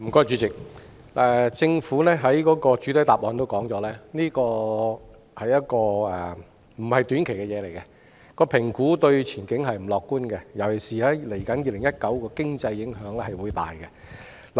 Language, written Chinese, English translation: Cantonese, 主席，政府在主體答覆提到，中美貿易摩擦並非短期事項，評估對前景並不樂觀，尤其是對2019年的經濟影響會很大。, President the Government mentions in the main reply that the China - US trade conflict is not a short - term issue; the outlook is not optimistic and the impacts on our economy will be particularly great in 2019